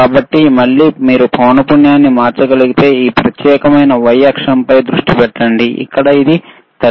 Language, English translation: Telugu, So, again if you can change the say frequency, you see you have to concentrate on this particular the y axis, where it is showing 33